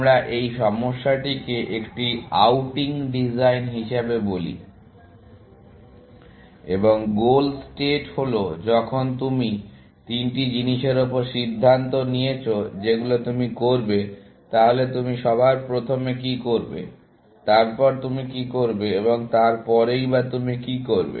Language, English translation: Bengali, Let us call this problem as designing an outing, and the goal state is, when you have decided upon the three things, that you will do; what will you do first; what will you do next; and what will you do after that